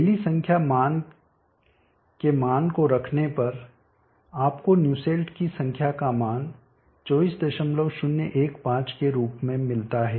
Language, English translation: Hindi, Substituting rally number value you get the value of the Nussle’s number as 24